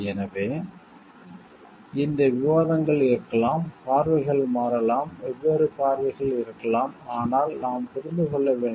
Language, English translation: Tamil, So, their this could be debates there could be changing views different views, but we have to understand